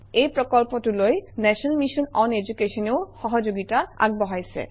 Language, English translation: Assamese, This project also is supported by the national mission on education